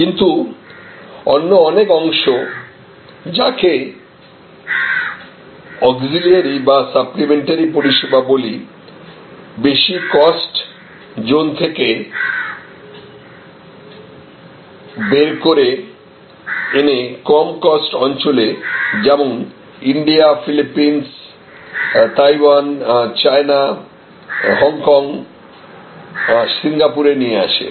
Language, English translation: Bengali, But, many of the other parts of what we call auxiliary services or supplementary services moved out of the higher cost zones and moved to lower cost areas like India, Philippines, Taiwan, China, Hong Kong, Singapore and so on